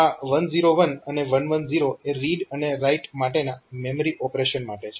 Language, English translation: Gujarati, And this 1 0 1 and 1 1 0 they are for read and write memory operations